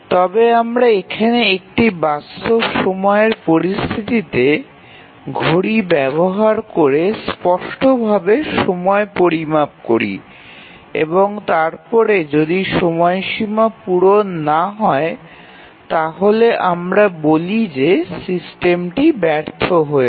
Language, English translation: Bengali, But then here we measure the time explicitly using a physical clock in a real time situation and then if the time bounds are not met, we say that the system has failed